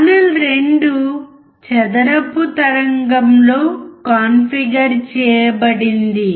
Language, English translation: Telugu, Channel 2 is configured in square wave